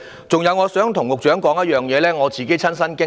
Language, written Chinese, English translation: Cantonese, 此外，我想對局長說說我自己的親身經歷。, In addition I would like to share with the Secretary my personal experience